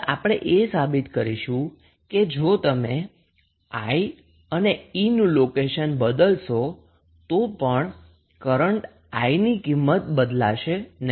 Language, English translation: Gujarati, Now, we have to prove that if you exchange value of, sorry, the location of I and E the values of current I is not going to change